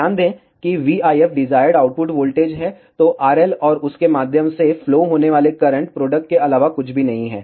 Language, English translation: Hindi, Notice that, v IF which is the desired output voltage is nothing but the product of R L and the current flowing through it